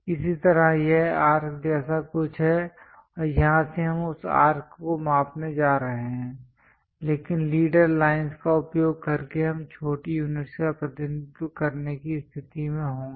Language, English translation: Hindi, Similarly, something like this arc is there and from here we are going to measure that arc, but using leader lines we will be in a position to represent the small units